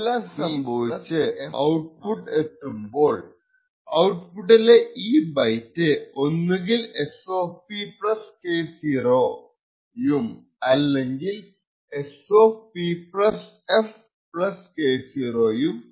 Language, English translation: Malayalam, As this passes through and finally reaches the output this particular byte of the output is either S[P] + K0 or, S[P + f] + K0